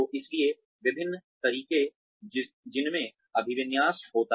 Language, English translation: Hindi, So, various ways in which orientation takes place